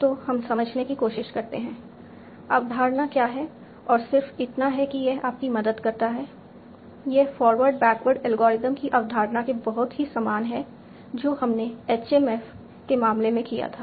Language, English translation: Hindi, And just so that it helps you, this is very, very similar to the concept of forward backward algorithm that we did in the case of HMAPs